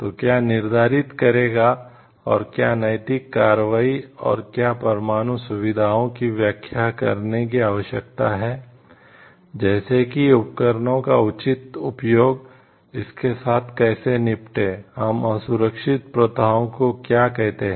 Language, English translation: Hindi, So, what will determine and ethical operations and, nuclear facilities needs to be defined, like what is the proper use of the like equipments, how to deal with that what is what will, we counted as an unsafe act etcetera